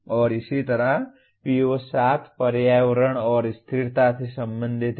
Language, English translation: Hindi, And similarly PO7 is related to Environment and Sustainability